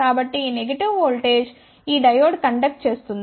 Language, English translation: Telugu, So, this negative voltage ensures that this diode will conduct